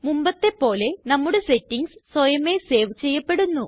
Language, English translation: Malayalam, As before, our settings will be saved automatically